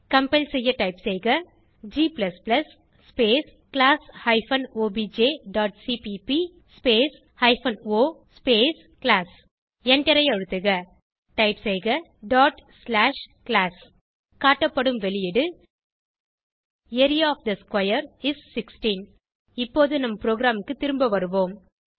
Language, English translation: Tamil, To compile type g++ space class hyphen obj dot cpp space hyphen o space class Press Enter Type./class Press Enter The output is displayed as: Area of the square is 16 Now let us move back to our program